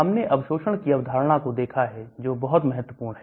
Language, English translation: Hindi, We have looked at the concept of absorption that is very, very important